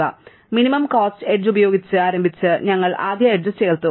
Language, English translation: Malayalam, So, we start with minimum cost edge and we add it to the list